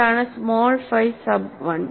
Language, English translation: Malayalam, And what is small phi sub 1